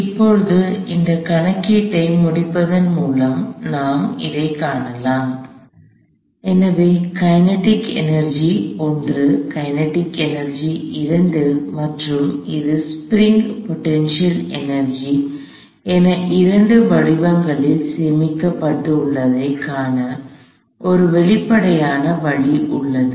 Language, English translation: Tamil, So, here is an explicit way to see that there is kinetic energy stored in two forms, this is kinetic energy 1, this is kinetic energy 2 and this is spring potential energy